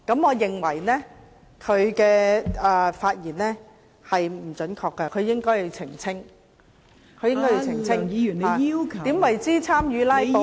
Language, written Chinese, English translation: Cantonese, 我認為她的言論不準確。她應該要澄清何謂參與"拉布"。, I consider it incorrect for her to say so and she has to clarify the meaning of engaging in filibustering